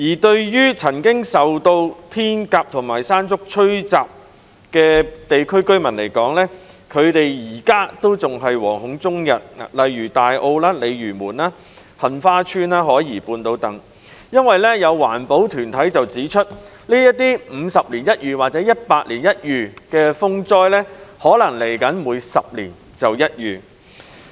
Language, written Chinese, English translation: Cantonese, 至於曾經受到"天鴿"和"山竹"吹襲的地區，例如大澳、鯉魚門、杏花邨及海怡半島等，居民至今仍是惶恐終日，因為有環保團體指出，這些50年一遇或100年一遇的風災，將來可能會變成10年一遇。, Residents living in areas battered by Hato and Mangkhut such as Tai O Lei Yue Mun Heng Fa Chuen and South Horizons are still fraught with anxiety because some green groups have pointed out that such once - in - a - half - century or once - in - a - century typhoons may have a return period of one in 10 years in the future